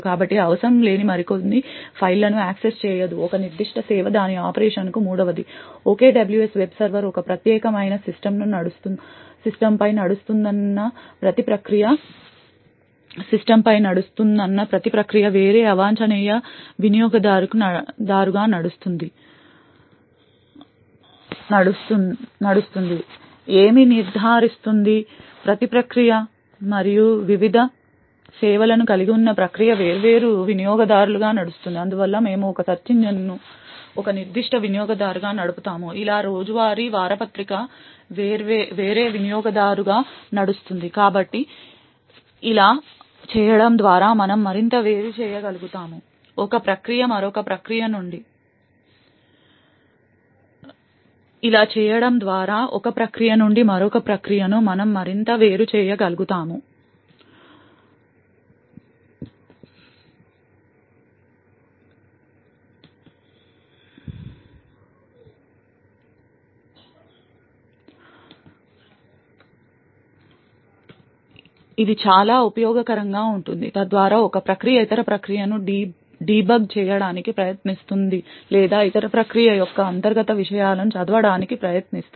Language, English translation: Telugu, So a particular service for example would not be able to access some other file which is not required for its operation, third, every process would run as a different unprivileged user since the OKWS web server runs over a unique system, what is ensured is that every process and the process comprises of the various services would be running as different users thus we would be having a search engine run as a particular user as well as the daily newspaper run as a different user so by doing this we are able to further isolate one process from another, this is especially useful so as to prevent one process trying to debug the other process or trying to read the internal contents of the other process and so on